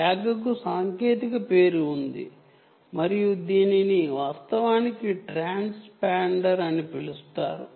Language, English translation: Telugu, there is a technical name for tag and this is actually called transponder